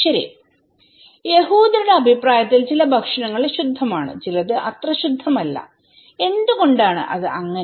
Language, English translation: Malayalam, Well, some foods are clean according to the Jews people and some are not so clean, so why it is so